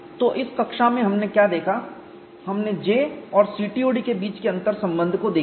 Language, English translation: Hindi, You know in the last class we had looked at a relationship between J integral and CTOD